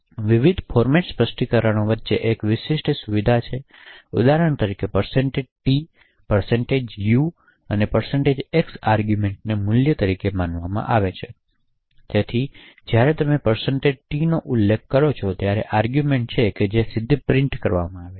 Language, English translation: Gujarati, There is one distinguishing feature between the various format specifiers for example % t, % u and % x the arguments passed are considered as value therefore for example when you specified % t it is the argument which directly gets printed